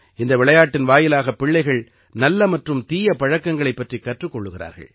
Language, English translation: Tamil, Through play, children learn about good and bad habits